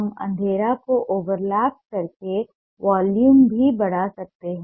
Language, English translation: Hindi, we can also increase the volume by overlapping the darkness